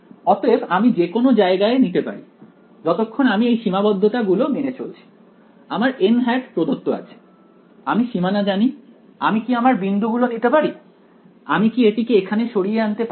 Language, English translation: Bengali, So, I can pick my location anywhere as long as I am obeying these constraints, n hat is given to me I know the boundary, can I pick my points very very can I move this guy over here